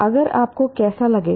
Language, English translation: Hindi, How would you feel if